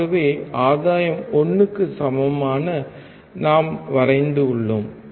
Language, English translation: Tamil, So, we have drawn gain equals to 1